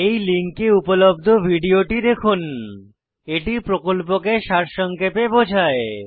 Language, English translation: Bengali, http://spoken tutorial.org/What http://spoken tutorial.org/What] is a Spoken Tutorial It summarizes the Spoken Tutorial project